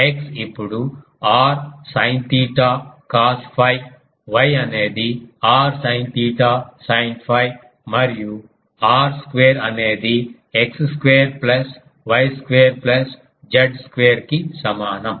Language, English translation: Telugu, So, we can now write what is r this; now what is x can we write is now as x is equal to r sin theta cos phi y is r sin theta sin phi and r square is x square plus y square plus Z square